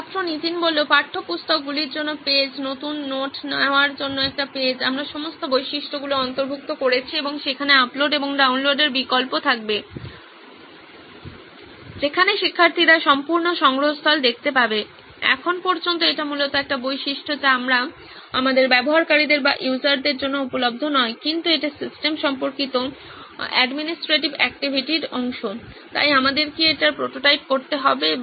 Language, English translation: Bengali, Page for textbooks, a page for taking new notes, we covered all the features and there will be the upload and download option where students can see the entire repository, so far this is essentially a feature that is not available for our users but it is part of the administrative activity related to the system, so do we have to prototype this as well or